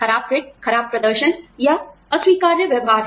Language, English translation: Hindi, Poor fit is poor performance or unacceptable behavior